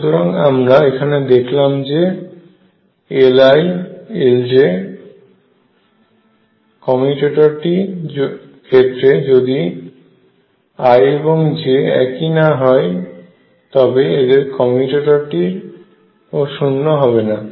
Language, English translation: Bengali, So, what we notice is that the commutator of L i L j, i not equals to j is not zero and then the commutator is not zero